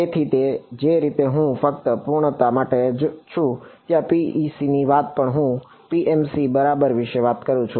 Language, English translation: Gujarati, So, similarly I just for sake of completeness where talk of PEC I also talk about PMC ok